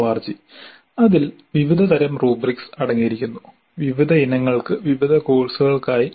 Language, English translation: Malayalam, org which contains a varieties of rubrics for a variety of items for a variety of courses